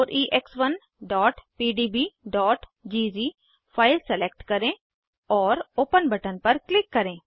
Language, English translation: Hindi, Select 4EX1.pdb.gz file and click on open button